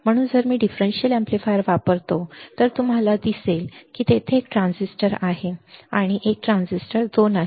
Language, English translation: Marathi, So, if I use the differential amplifier you will see that there is a transistor one and there is a transistor 2